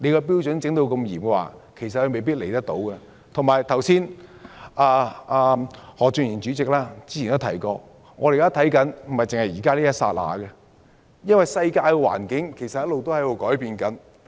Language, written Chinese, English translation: Cantonese, 小組委員會主席何俊賢議員早前亦提及，我們要顧及的並非只是現在的一剎那，因為世界環境一直改變。, As mentioned by Mr Steven HO Chairman of the Subcommittee earlier on we should not consider the present moment only because the world is constantly changing